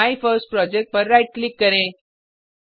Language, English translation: Hindi, So, Right click on MyFirstProject